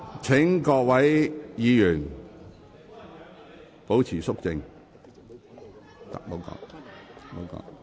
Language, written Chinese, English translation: Cantonese, 請各位議員保持肅靜。, Will Members please keep quiet